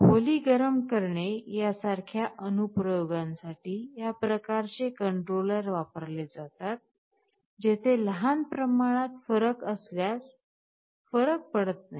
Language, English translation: Marathi, This kind of a controller is quite good for applications like room heating, where small degree difference does not matter